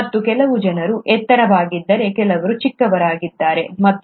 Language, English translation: Kannada, And how is it that some people are taller, while some people are shorter